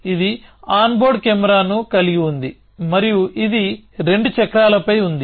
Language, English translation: Telugu, It had a on board camera and it was on 2 wheels